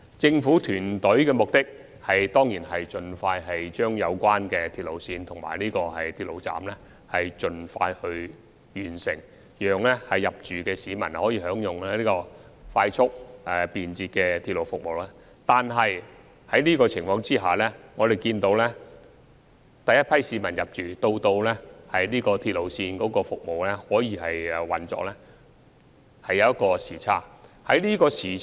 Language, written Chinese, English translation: Cantonese, 政府團隊當然希望盡快完成興建有關的鐵路線及車站，讓遷入的市民可以享用快速便捷的鐵路服務，但觀乎現時的情況，由首批市民遷入至鐵路投入服務，時間上可能會出現差距。, The government team certainly hopes that the construction of the relevant railway lines and stations will be completed as soon as possible so that the residents can enjoy fast and convenient railway services after moving in . However judging from the present situation there may be a time gap between the first population intake and the commissioning of the railway